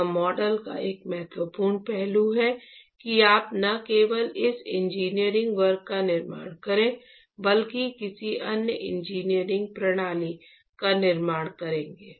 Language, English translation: Hindi, This is an important aspect of the model that you would construct not just this engineering class, but any other engineering system